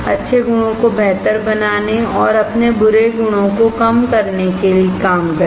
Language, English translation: Hindi, Work on to better the good qualities and to reduce your bad qualities